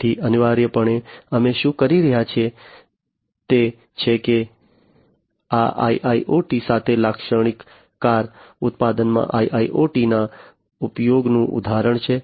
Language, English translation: Gujarati, So, essentially what we are doing is that this is the example of use of IIOT in a typical car manufacturing with IIoT